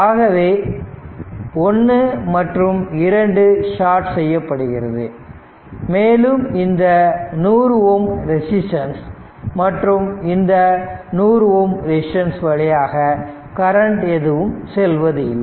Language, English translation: Tamil, So, ah sorry this ah, sorry this ah this 1 2 is shorted, so there will be no current to 100 ohm, and no current through this 100 ohm resistance